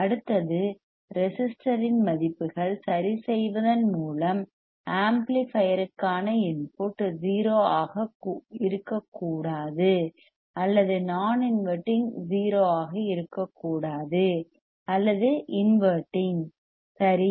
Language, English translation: Tamil, Then next one is resistor values are adjusted in a way that input to amplifier must not be 0 or non inverting must not be 0 or non inverting ok